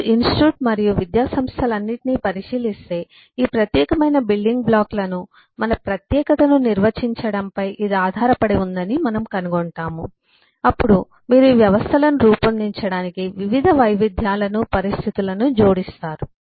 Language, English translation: Telugu, if you look at all of this institutes and educational system, that this is based on defining our, our ah specializing this specific building blocks, on which then you add different variabilitys, conditions in terms to buildup these systems